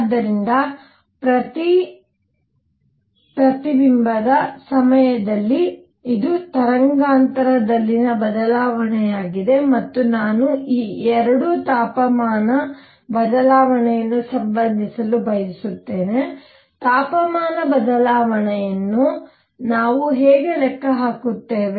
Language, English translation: Kannada, So, during each reflection this is the change in the wavelength and I want to relate this 2 the temperature change; how do we calculate the temperature change